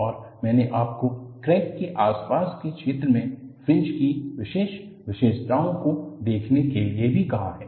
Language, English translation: Hindi, And, I have also asked you to look at the special features of the fringe in the vicinity of the crack